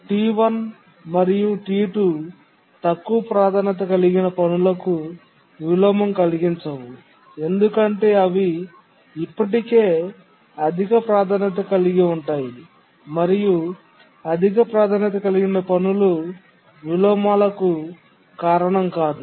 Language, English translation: Telugu, T1 and T2 will not cause any inversion to the lower priority tasks because there are already higher priority and high priority task doesn't cause inversions